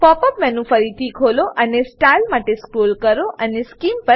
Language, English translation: Gujarati, Open the pop up menu again and scroll down to Style, then Scheme